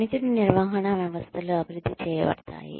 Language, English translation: Telugu, Performance management systems are developed